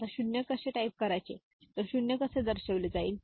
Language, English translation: Marathi, Now, how 0 if you type 0, how 0 is represented